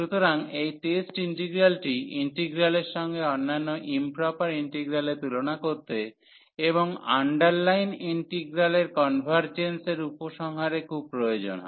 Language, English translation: Bengali, So, this test this test integral will be very useful to compare the integrals with other improper integrals and to conclude the convergence of the underline integral